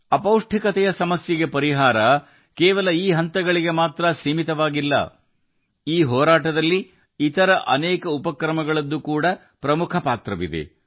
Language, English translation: Kannada, The solution to the malady of malnutrition is not limited just to these steps in this fight, many other initiatives also play an important role